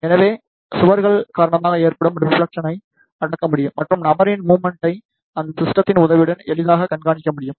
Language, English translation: Tamil, So, the reflection due to walls can be suppressed and the motion of the person can be tracked easily with the help of this system